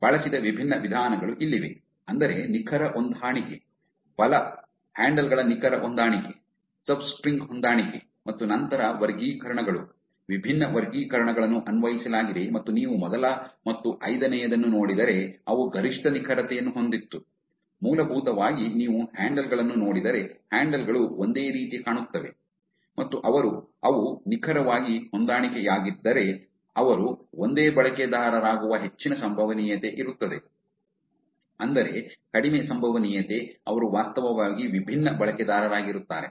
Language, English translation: Kannada, Here are the different methods that was used, which is exact match, exact match of the handles, substring match, and then classifiers, different classifiers were applied, and if you look at the first one and the fifth one are the ones which at the maximum accruits which basically says that if you look at the handles the way that the handles looks similar and if they are exact mass there is very high probability that they are the same users it's very less probability that they would be different users